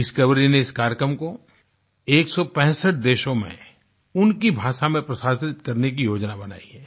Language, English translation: Hindi, The Discovery Channel plans to broadcast this programme in 165 countries in their respective languages